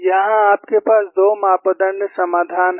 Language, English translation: Hindi, Here you have 2 parameter solution